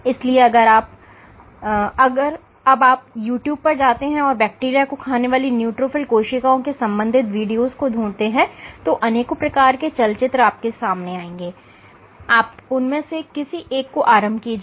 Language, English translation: Hindi, So, if you go to YouTube and you search for videos of lets say neutrophil eating bacteria, you will come across various movies, okay you will come across various movies you start any one of them